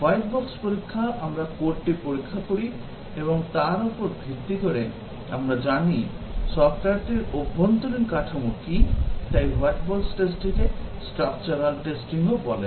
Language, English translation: Bengali, White box testing, we look at the code and based on that, we know what is the internal structure of the software and therefore, the white box testing is called as the structural testing